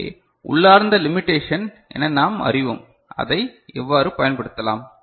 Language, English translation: Tamil, So, that we know as inherent limitation and how we can make use of it